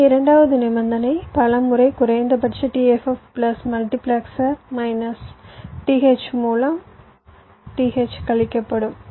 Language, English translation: Tamil, so your second condition will be like this: several time minimum t f f plus by multiplexer, minus t h, t h will get subtracted